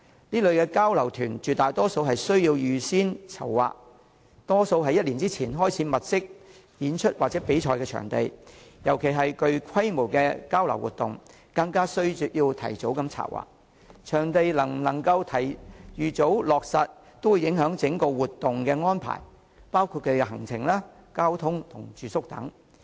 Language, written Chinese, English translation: Cantonese, 這類交流團絕大多數都需要預先籌劃，大多於1年前便要開始物色演出或比賽場地，尤其是具規模的交流活動，更需要提早策劃，而場地能否預早落實便會影響整項活動的安排，包括行程、交通、住宿等。, Usually organizers have to begin looking for performance or competition venues one year before . For sizeable exchange activities it is all the more necessary for organizers to do early planning . The reason is that whether the venue can be confirmed in advance will have an impact on the arrangements of the entire activity including the itinerary transport accommodation etc